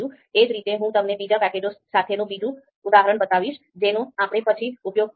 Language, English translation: Gujarati, Similarly you know another example, I will try with another package that we would be using later on